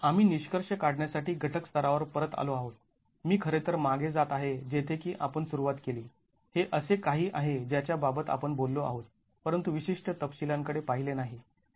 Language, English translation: Marathi, We have come back to the component level to conclude, I'm actually going back to where we started from which is something that we've talked about but not looked at specific details